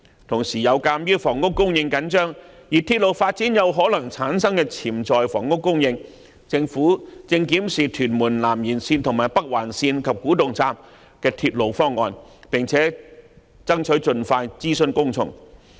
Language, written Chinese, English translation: Cantonese, 同時，鑒於房屋供應緊張，而鐵路發展有可能產生的潛在房屋供應，政府正檢視屯門南延線及北環線的鐵路方案，並爭取盡快諮詢公眾。, At the same time due to tight housing supply and the potential housing supply that may be generated by railway development the Government is reviewing the proposals on the Tuen Mun South Extension and Northern Link and will strive to consult the public as soon as possible